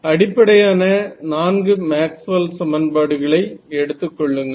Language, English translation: Tamil, So, all basically those four Maxwell’s equations, how you treat them